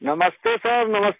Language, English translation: Hindi, Namaste Sir Namaste